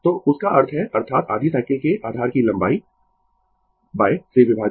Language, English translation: Hindi, So; that means, that is divided by the length of the base of the half cycle